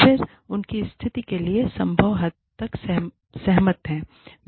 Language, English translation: Hindi, Then, agree, to their situation, to the extent possible